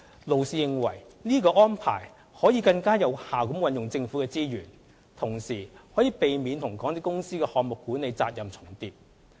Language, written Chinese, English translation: Cantonese, 勞氏認為這種安排可以更有效運用政府的資源，同時可避免與港鐵公司的項目管理責任重疊。, Lloyds also advised that the Governments resources could be utilized more effectively under the arrangement and it would avoid overlapping in project management obligations with MTRCL